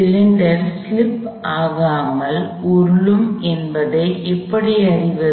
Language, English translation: Tamil, How do I know the cylinder is rolling without slip